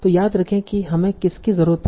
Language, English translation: Hindi, So remember what did we need